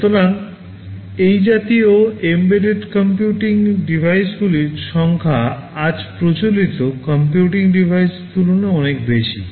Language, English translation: Bengali, So, the number of such embedded computing devices far outnumber the number of conventional computing devices today